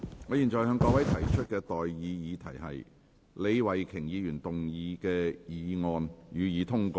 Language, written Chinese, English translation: Cantonese, 我現在向各位提出的待議議題是：李慧琼議員動議的議案，予以通過。, I now put the question to you and that is That the motion moved by Ms Starry LEE be passed